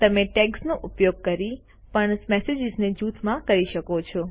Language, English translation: Gujarati, You can also use tags to group similar messages together